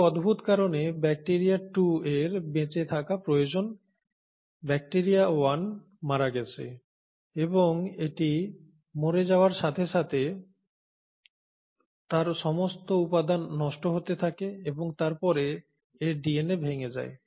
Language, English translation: Bengali, Now bacteria 2 is needs to survive and for some strange reason, the bacteria 1 has either died and as its dies all its material is disintegrating and then its DNA gets fragmented